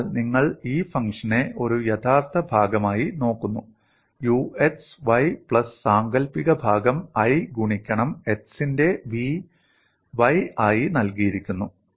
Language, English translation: Malayalam, So you look at this function W as a real part u x comma y plus imaginary part, given as i, into v into v of x comma y